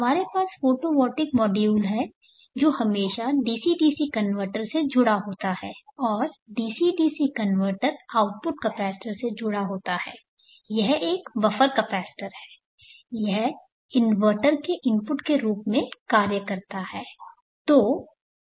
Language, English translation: Hindi, Let us have a look at that topology, we have the photovoltaic module as usual connected to a DC DC converter and the DC DC converter output is connected to a capacitor there is a buffer capacitance, and that acts as an input to the inverter